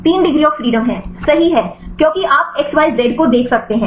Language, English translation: Hindi, 3 degrees of freedom right because you can see x y z the 3 degrees of freedom